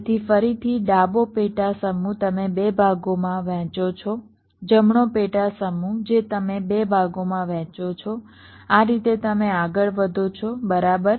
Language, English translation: Gujarati, so again, the left subset you divide into two parts, right subsets you divide in two parts